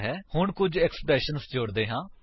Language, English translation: Punjabi, Now let us add some expressions